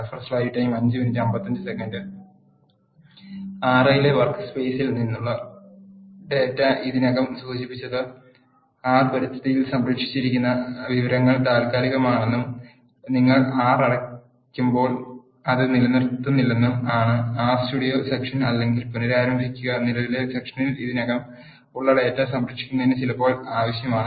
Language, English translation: Malayalam, The data from the workspace in R I have already mentioned that the information that is saved in the environment of R is temporary and it is not retain when you close the R session or restart the R Studio it is sometimes needed to save the data which is already there in the current session